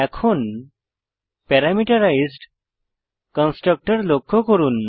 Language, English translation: Bengali, Now, notice the parameterized constructor